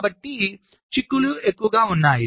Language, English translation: Telugu, so there are implications